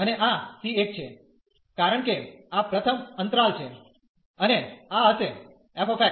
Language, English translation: Gujarati, And this is c 1, because this is the first interval and this will be the f x f c 1